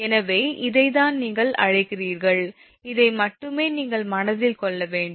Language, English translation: Tamil, So, this is that what you call, this is the only thing you have to keep in mind